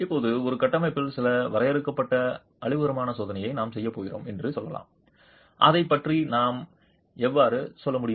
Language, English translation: Tamil, Now let's say we are going to do some limited destructive testing in a structure